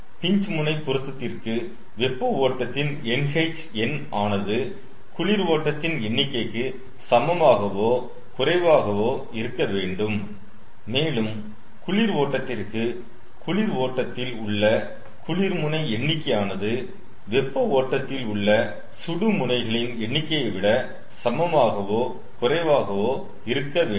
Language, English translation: Tamil, for pinch end matching, nh number of hot streams should be less than equal to number of cold stream and for cold stream, cold end number of cold stream should be less than equal to number of hot stream